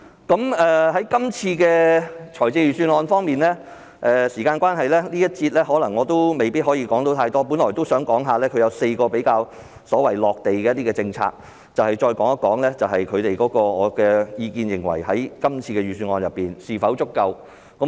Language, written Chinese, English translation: Cantonese, 對於今次的財政預算案，時間關係，我在這個環節未必可以說太多，我本來都想談及4個比較"落地"的政策，再談談我的意見，在今次的預算案當中是否足夠。, With regard to the Budget this year I may not be able to say too much in the current session due to time constraint . I originally wished to talk about four relatively more down - to - earth policies and express my views about whether they are adequate from the perspective of the Budget this year